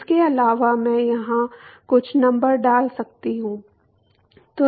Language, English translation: Hindi, Also I can put some numbers here